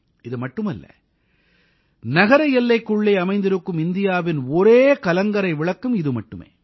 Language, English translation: Tamil, Not only this, it is also the only light house in India which is within the city limits